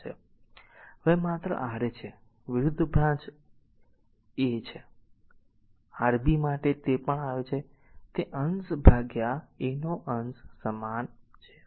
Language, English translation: Gujarati, So just when it is Ra just; opposite branch is R 1 divided by R 1 for your Rb whatever it is coming numerator divided by R 2 numerator is same